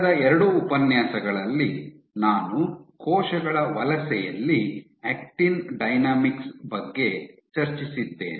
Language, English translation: Kannada, In the last 2 lectures I had discussed Actin Dynamics in cell Migration